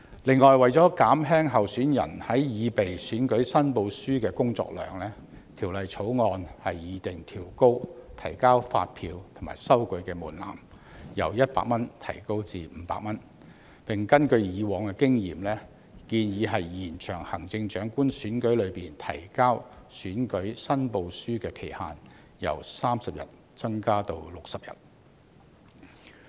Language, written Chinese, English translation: Cantonese, 此外，為減輕候選人在擬備選舉申報書的工作量，《條例草案》擬訂調高提交發票及收據的門檻，由100元提高至500元，並根據過往經驗，建議延長行政長官選舉中提交選舉申報書的期限，由30天增至60天。, In addition in order to help alleviate the workload of candidates when preparing their election returns the Bill proposes to revise the threshold for the submission of invoices and receipts from 100 to 500 and based on past experience proposes to extend the deadline for submitting election returns for Chief Executive elections from 30 days to 60 days